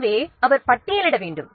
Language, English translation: Tamil, So that also have to be listed